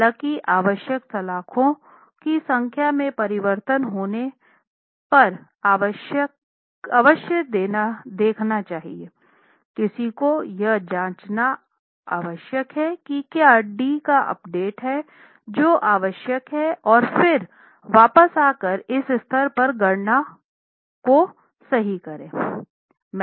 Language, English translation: Hindi, However, one must check if there are changes in the number of bars required, one must check if there is an update of D D that is required and then come back and correct the calculations at this stage